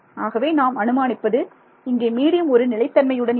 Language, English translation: Tamil, So, we are assuming that the medium is static